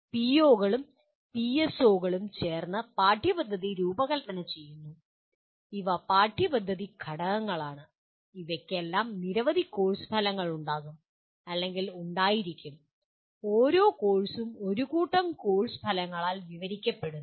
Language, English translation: Malayalam, And these POs and PSOs together design the curriculum and these are the curriculum components and all of them will have or will have several courses and each course is described by a set of course outcomes